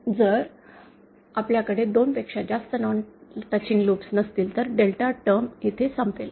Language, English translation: Marathi, And if we do not have more than 2 non touching loops, then our delta term will end here